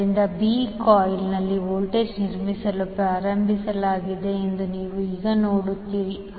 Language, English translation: Kannada, So, you will see now the voltage is started building up in B coil